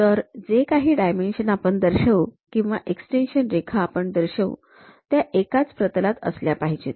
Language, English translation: Marathi, So, whatever the dimensions we will show, extension lines we will show; they should be in the same plane